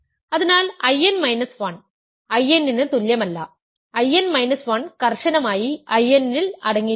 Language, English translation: Malayalam, So, I n minus 1 is not equal to I n, I n minus 1 is strictly contained in I n